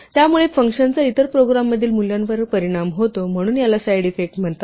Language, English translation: Marathi, So the function affects the value in the other program, so this is called a side effect